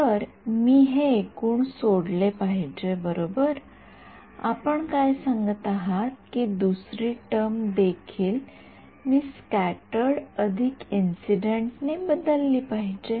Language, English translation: Marathi, So, I should leave it as total right what is the point you are saying in you are saying that for this second term also I should replace it by incident plus scattered